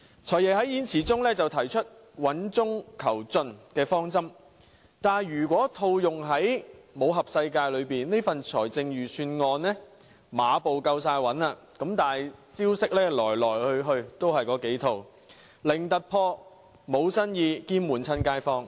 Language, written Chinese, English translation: Cantonese, "財爺"在演辭中提出穩中求進的方針，但如果套用武俠小說的術語，這份預算案馬步是夠穩，但招式來去也是那幾套，零突破，無新意，兼悶着街坊。, The new Financial Secretary has introduced the sound and progressive principle of fiscal policy in his speech . Describing in the words in martial arts novels the Budget does a stable Horse Stance yet it always repeats the same few strokes with almost nothing new at all . The people are bored by the same old measures